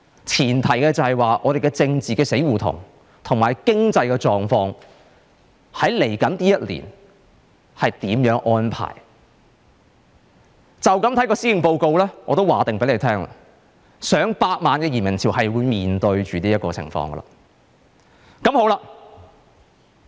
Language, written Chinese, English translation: Cantonese, 前提是香港的政治死胡同和經濟狀況在未來1年有甚麼安排，從這份施政報告，我可以預先告訴大家，我們要面對上百萬人的移民潮。, A precondition is how the political blind alley and the economy of Hong Kong will unfold in the coming year . And based on this Policy Address I can tell Members in advance that we will face an emigration wave of people in their millions